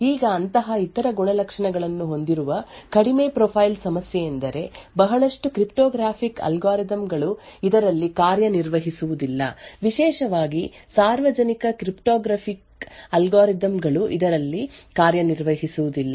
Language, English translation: Kannada, Now a problem with having such other characteristics, low profile is that a lot of cryptographic algorithms will not work on this, especially the public cryptography algorithms will not work on this